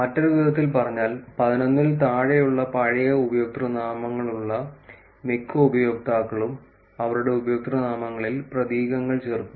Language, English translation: Malayalam, In other words, most users with old usernames of less than 11 tend to add characters in their usernames